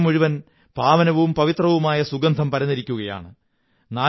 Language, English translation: Malayalam, The whole environment is filled with sacred fragrance